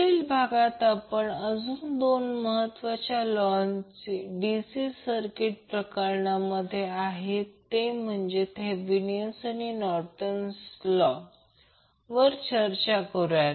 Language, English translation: Marathi, In next session, we will discuss about two more important theorems which we discuss in case of DC circuit that are your Thevenin's and Norton’s theorem